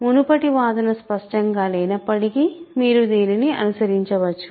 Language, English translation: Telugu, Even if the previous argument was not clear, you can follow this, right